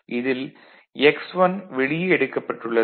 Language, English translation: Tamil, So, where x1 was taken out right, it is clear